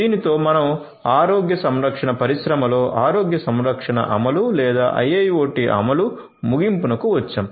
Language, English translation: Telugu, With this, we come to an end of the healthcare implementation or IIoT implementation in the healthcare industry